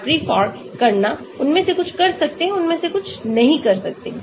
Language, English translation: Hindi, Hartree Fock calculation; some of them can do, some of them cannot do